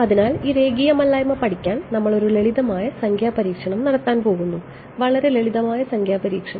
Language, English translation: Malayalam, So, to study this nonlinearity we are going to do a simple numerical experiment ok, very simple numerical experiment